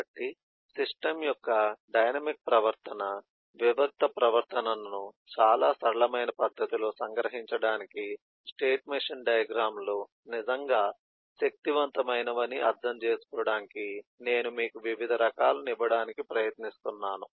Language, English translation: Telugu, so this is just eh am, just am just trying to give you different flavors of examples to understand that the state machine diagrams are really powerful to capture the dynamic behavior, discrete behavior of the system in a very simple manner